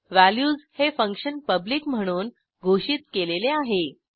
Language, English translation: Marathi, Then we have function values declared as public